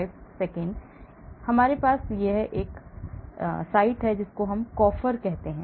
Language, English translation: Hindi, And so we have this; it is called Coffer